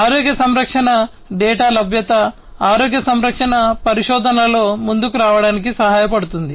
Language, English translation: Telugu, Availability of healthcare data also helps in advancing health care research